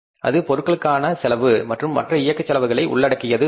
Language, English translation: Tamil, That is a material cost and the other operating expenses cost